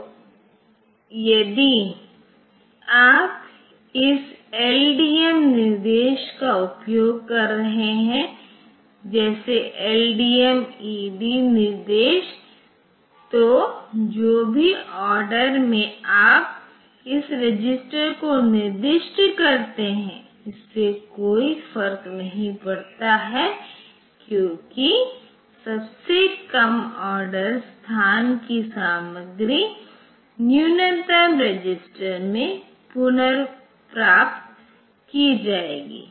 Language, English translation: Hindi, So, if you are using this LDM instruction, so LDMED instruction then whatever be the order in which you specify this registers it does not matter the lowest order location content will be retrieved in to the lowest register